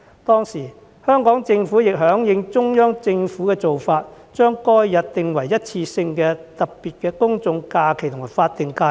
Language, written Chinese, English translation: Cantonese, 當時香港政府亦響應中央政府的做法，把該日訂為一次性的特別公眾假期及法定假日。, On that occasion the Hong Kong Government followed the Central Governments practice and designated that day as a general holiday and statutory holiday on a one - off basis